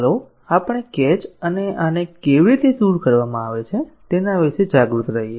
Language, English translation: Gujarati, Let us be aware of the catches and how these are overcome